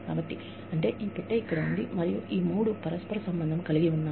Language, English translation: Telugu, And, these three are interrelated